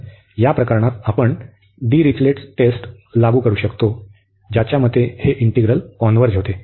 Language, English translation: Marathi, So, in this case we can apply now Dirichlet results Dirichlet test, which says that this integral converges